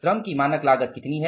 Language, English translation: Hindi, What is the standard rate